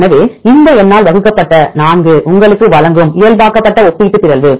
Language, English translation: Tamil, So, 4 divided by this number will give you the normalized relative mutability